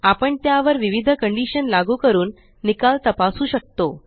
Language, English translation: Marathi, We can apply different conditions on them and check the results